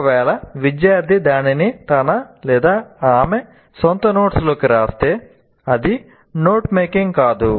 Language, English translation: Telugu, If you write that back into your own notes, that doesn't become note making